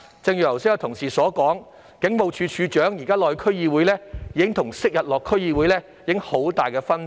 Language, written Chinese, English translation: Cantonese, 剛才有同事說，警務處處長現時出席區議會會議的情況與昔日有很大分別。, Some colleagues have just said that when the Commissioner of Police attended DC meetings recently he received very different treatment from the old days